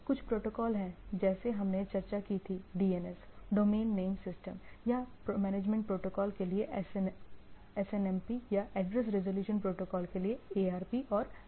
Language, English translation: Hindi, There are some of the protocols as we discussed like DNS, Domain Name System or SNMP for management protocol or ARP and DHCP for some of the address resolution protocols